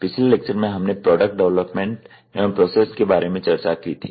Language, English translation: Hindi, In the last lecture, we were discussing on the topic of Product Development and Processes